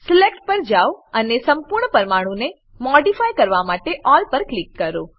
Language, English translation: Gujarati, Go to Select and click on All to modify the whole molecule